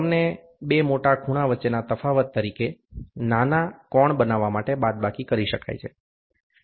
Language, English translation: Gujarati, They can be subtracted to form a smaller angle as a difference between two large angles